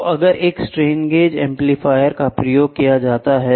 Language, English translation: Hindi, So, if a strain gauge amplifier is used to